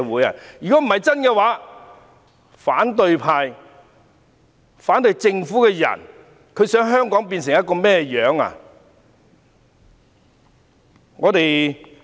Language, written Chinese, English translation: Cantonese, 如果不是真的，反對派及反對政府的人究竟想香港變成甚麼樣子？, If these messages are false what do opposition Members and those who oppose the Government want Hong Kong to become?